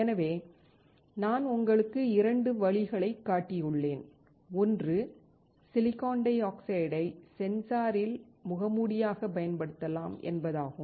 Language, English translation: Tamil, So, I have shown you 2 ways; one, we can use the silicon dioxide as a mask in sensor